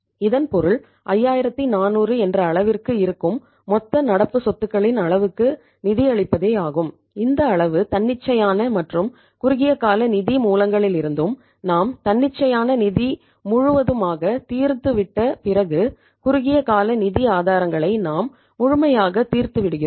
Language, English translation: Tamil, It means to finance the total level of current assets that is to the extent of to the tune of 5400 this much amount is coming from the spontaneous as well as the short term sources of finance and remaining means we are fully exhausted spontaneous finance we have fully exhausted the short term sources of finance